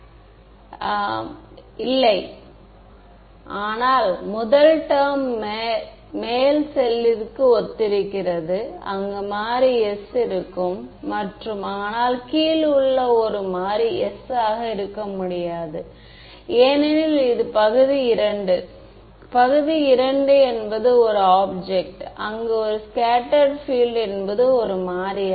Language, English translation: Tamil, No, but the first term corresponds to upper cell, where the variable is s and the lower one the variable cannot be s because it is region II; region II is the object where scattered field is not a variable